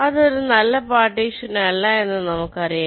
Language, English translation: Malayalam, let say this is a good partition